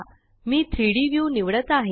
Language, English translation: Marathi, I am selecting the 3D view